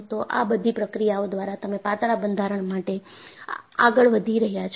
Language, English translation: Gujarati, So, by all this processes, you are going in for thinner structures